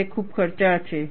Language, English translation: Gujarati, That is too expensive